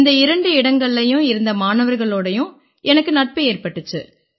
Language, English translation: Tamil, I have become friends with the students at both those places